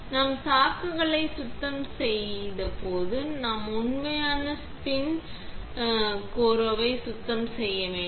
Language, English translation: Tamil, When we have cleaned the chucks we need to clean the actual spin coater